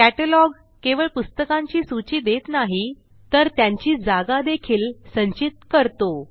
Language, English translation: Marathi, A catalogue not only lists the books, but also stores their physical location